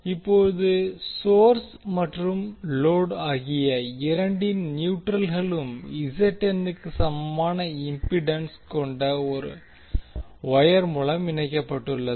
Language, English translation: Tamil, Now the neutrals of both of the source as well as load are connected through wire having impedance equal to ZN